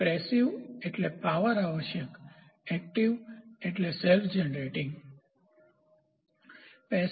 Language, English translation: Gujarati, Passive means power required active self generating